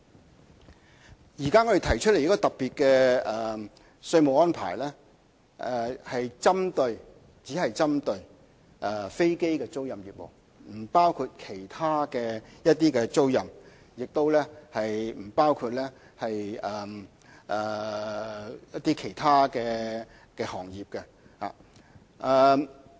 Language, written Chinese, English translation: Cantonese, 我們現時提出特別的稅務安排，只是針對飛機的租賃業務，不包括其他租賃，也不包括其他行業。, The special taxation arrangement proposed at present only covers aircraft leasing business but not other kinds of leasing activities or other industries